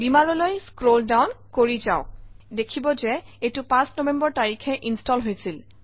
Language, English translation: Assamese, Scroll down to Beamer and you can see that it got installed on 5th of November